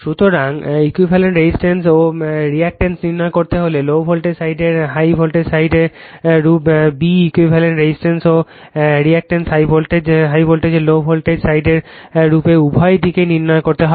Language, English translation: Bengali, So, calculate the equivalent resistance and reactance of low voltage side in terms of high voltage side, b, equivalent resistance and reactance of high voltage side in terms of low voltage side both side you have to get it, right